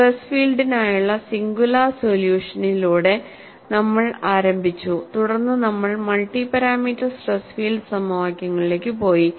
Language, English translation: Malayalam, We have started with singular solution for the stress field; then we graduated to multi parameter stress field equations